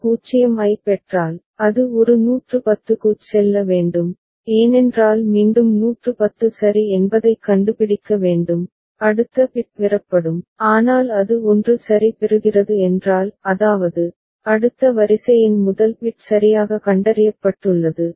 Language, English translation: Tamil, If it receives a 0, it goes to a because again it has to find out 110 ok, then next bit will be obtained, but if it is receiving a 1 ok; that means, first bit of the next sequence has been detected properly